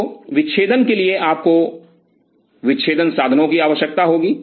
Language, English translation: Hindi, So, for dissection you will be needing dissecting instruments